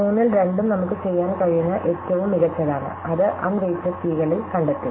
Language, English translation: Malayalam, And this 2 out of 3 is the best we can do and that was find in the un weighted case